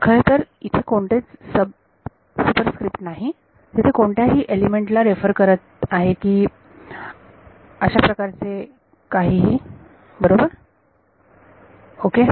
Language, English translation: Marathi, Because there is no sub superscript referring to which element or whatever right ok